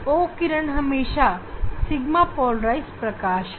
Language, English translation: Hindi, E ray is sigma polarized light